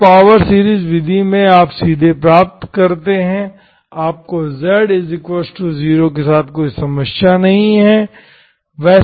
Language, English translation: Hindi, In this power series method you directly get, you do not have problem with z equal to 0, okay